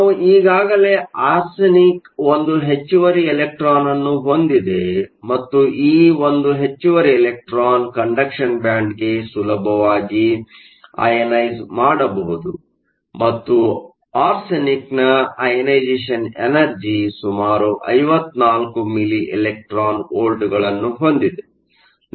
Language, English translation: Kannada, So, let us say we are adding arsenic we already saw that arsenic has 1 extra electron and this 1 extra electron can easily ionize to the conduction band and the ionization energy for arsenic is around 54 milli electron volts, we add a small amount of arsenic